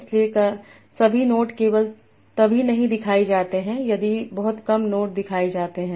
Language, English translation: Hindi, So not all the notes are shown only if very few notes are shown